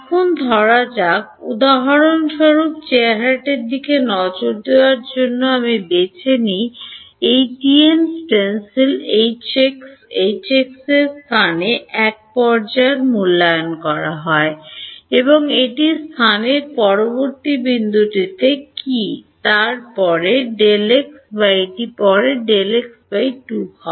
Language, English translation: Bengali, Now supposing I choose to evaluate look at look at for example, in this TM stencil H x H x is evaluated at one point in space what is the next point in space is it delta x later or is it delta x by 2 later